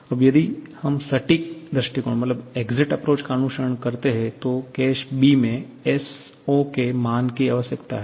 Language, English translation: Hindi, Now, if we follow the exact approach, then we need the value of S0